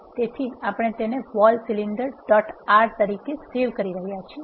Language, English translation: Gujarati, So, we are saving it as vol cylinder dot R